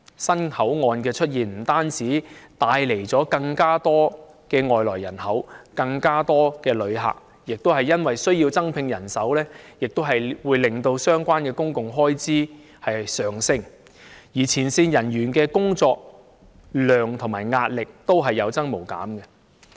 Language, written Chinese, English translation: Cantonese, 新口岸的出現不單帶來了更多外來人口和旅客，亦帶來增聘人手的需要，令相關公共開支上升，同時，前線人員的工作量和壓力亦有增無減。, The presence of new boundary control points not only has brought a surge in immigrants and visitors but has also led to the need to increase manpower thus pushing up the relevant public expenditures and at the same time putting additional workload and pressure on front - line officers continuously